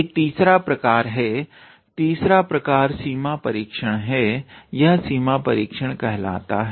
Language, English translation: Hindi, There is a third type, third type is limit test, it is called limit test